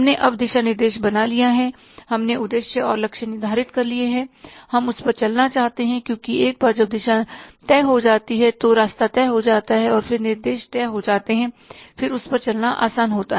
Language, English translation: Hindi, We have now created the roadmap, we have set the goals and targets, we won't to walk on that because once the road is decided, the path is decided, then a map is decided, it's very easy to walk on that